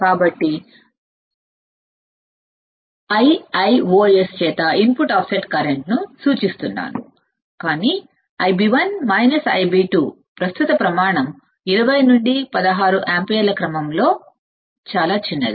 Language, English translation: Telugu, So, I am denoting input offset current by I i o s is nothing, but I b 1 minus I b 2 mode of I b 1 minus I b 2 the magnitude of the current is very small of order of 20 to 16 ampere